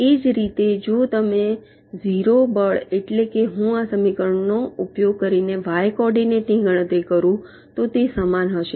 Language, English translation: Gujarati, similarly, if you calculate the zero force, i mean y coordinate, using this equation, it will be similar